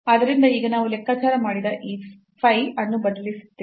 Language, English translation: Kannada, So, now we will substitute this phi which we have computed